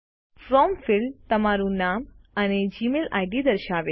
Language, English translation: Gujarati, The From field, displays your name and the Gmail ID